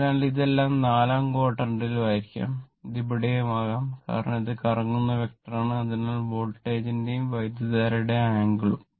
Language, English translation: Malayalam, So, it may be in either all the your what you call all the four quadrant, it may be anywhere right, because it is a rotating vector, so that angle of the voltage and current